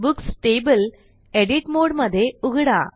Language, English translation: Marathi, And open the Books table in Edit mode